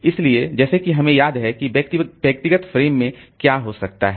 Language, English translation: Hindi, So, like that we remember what is happening to the what was there in the individual frames